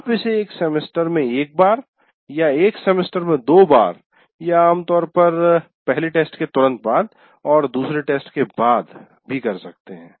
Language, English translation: Hindi, You can do it once in a semester or twice in a semester or generally immediately after the first test and immediately after the second test